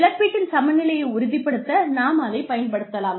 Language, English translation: Tamil, That can be used, to ensure equity of compensation